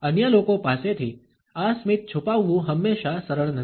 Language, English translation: Gujarati, It is not always easy to conceal this smile from others